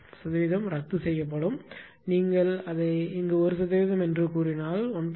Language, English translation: Tamil, Percent percent will be cancelled; if you put if you put it is 1 1 percent here ah if 1